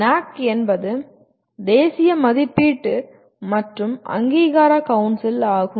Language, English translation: Tamil, NAAC is National Assessment and Accreditation Council